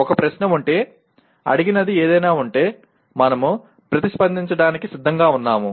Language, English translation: Telugu, If there is a question, if there is something that is asked, we are willing to respond